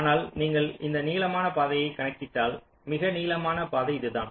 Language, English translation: Tamil, but if you just calculate the longest path, longest path is this